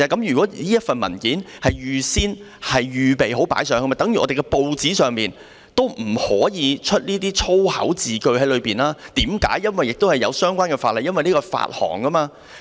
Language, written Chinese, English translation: Cantonese, 如果這份文件是預先準備好上載到網頁的，便應等同報章上不可以出現粗口字句的情況，因為有相關的法例規管發布刊物。, This is common sense . If this paper was prepared for uploading to a web page the situation was comparable to that of newspapers where foul phrases should not appear because there is relevant legislation to regulate publications